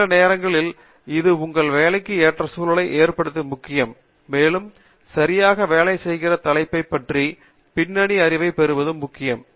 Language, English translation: Tamil, And, sometimes it’s also important to establish the context for your work, and its also important to have a background knowledge of the topic that we are working on okay